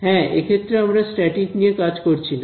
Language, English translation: Bengali, Yeah in this we will not deal with static